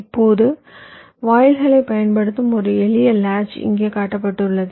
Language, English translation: Tamil, now a simple latch that uses gates is shown here